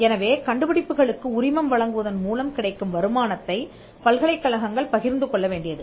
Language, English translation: Tamil, So, the universities were required to share the income that comes out of licensing these inventions, what we called royalty